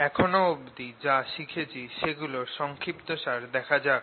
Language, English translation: Bengali, let us now summarize what we have learnt so far